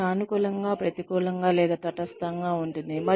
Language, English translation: Telugu, This can be positive, negative, or neutral